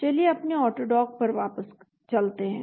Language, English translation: Hindi, Let us go back to our AutoDock